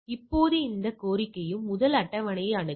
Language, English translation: Tamil, Now any request come first consult the table all right